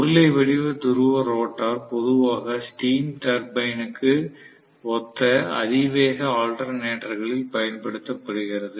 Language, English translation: Tamil, So, cylindrical pole rotor is normally used in high speed alternator which is corresponding to steam turbine, right